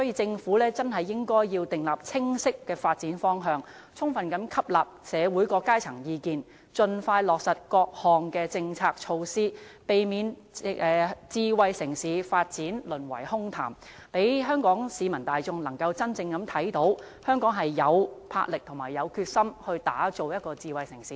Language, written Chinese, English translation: Cantonese, 政府應該訂立清晰的發展方向，充分吸納社會各階層的意見，盡快落實各項政策措施，避免智慧城市的發展淪為空談，讓香港市民大眾真正看到香港有魄力和決心打造成為智慧城市。, Meanwhile the Government should formulate a clear development direction and fully take on board the opinions expressed by different sectors of society with a view to implementing various policy initiatives expeditiously and preventing smart city development from being reduced to empty talk . Only in doing so can the general public really see that Hong Kong has the boldness and determination to forge itself into a smart city